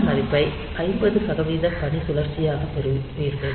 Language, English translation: Tamil, So, you get this value as the as a 50 percent duty cycle